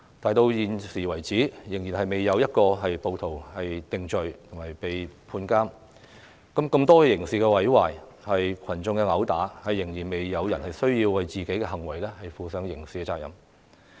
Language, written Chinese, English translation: Cantonese, 直到現時為止，仍然未有一名暴徒被定罪判監，仍然未有人為多項刑事毀壞和群眾毆鬥等行為負上刑責。, To date no mob has been convicted and jailed . Nobody has been held liable for the criminal damages and gang fights